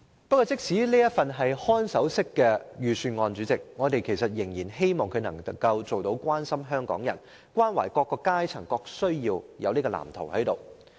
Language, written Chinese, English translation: Cantonese, 即使這是一份看守式預算案，我們仍然希望預算案能提出關懷港人及滿足各階層需要的藍圖。, Despite its caretaker mindset we still hope that the Budget can show care for the people and roll out a blueprint capable of satisfying the needs of various social classes